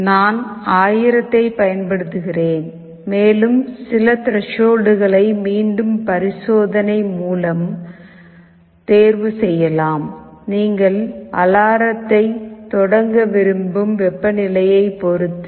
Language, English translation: Tamil, I am using 1000, and some threshold that again can be chosen through experimentation; depends on the temperature where you want to start the alarm